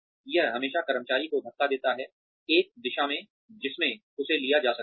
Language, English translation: Hindi, It always pushes the employee, in a direction in which, that can be taken up